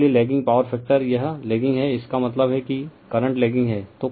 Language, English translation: Hindi, So, , lagging power factor it is lagging means current is lagging